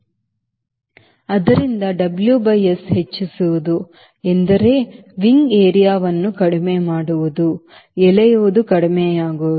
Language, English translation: Kannada, so w by s increasing means wing area reducing, drag is reducing, so rate of climb will increase